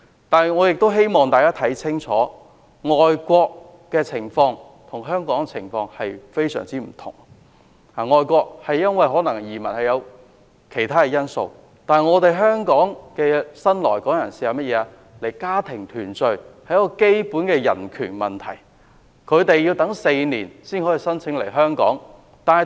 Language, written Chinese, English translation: Cantonese, 不過，我也希望大家看清楚，外國跟香港的情況十分不同，人們可能因為其他因素移民外國，但移居香港的新來港人士大多為了家庭團聚，這是基本的人權，他們要等待4年才能夠申請來港。, People elsewhere may move to other countries out of other reasons but the new entrants come to Hong Kong mainly for family reunion . This is a basic human right . They have to wait for four years before they are allowed to apply for resettlement in Hong Kong